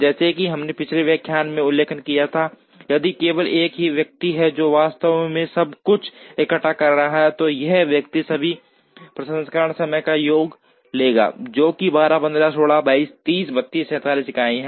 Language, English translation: Hindi, As we have mentioned in the previous lecture, if there is only one person who is actually assembling everything, then this person would take the sum of all the processing times which is, 12, 15, 16, 22, 30, 32, 47 units, to assemble to each final product